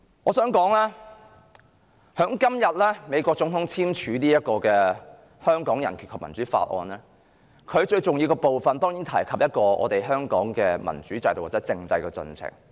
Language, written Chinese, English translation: Cantonese, 我想說，美國總統今天簽署《香港人權與民主法案》，而該法案當然會提及香港的民主制度的進程。, Today the President of the United States signed the Hong Kong Human Rights and Democracy Act which naturally mentions the progress of democratic development in Hong Kong